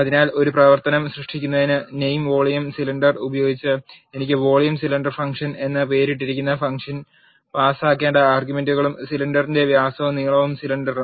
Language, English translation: Malayalam, So, to create a function by name volume cylinder I have to have the function named as volume cylinder function and the arguments that are needed to be passed are the diameter of the cylinder and the length of the cylinder